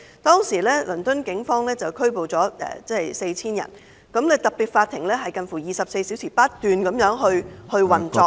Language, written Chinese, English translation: Cantonese, 當時，倫敦警方拘捕了 4,000 人，特別法庭近乎24小時不斷運作......, Back then the Police of London had arrested 4 000 persons and those special courts were operating nearly on a 24 - hour schedule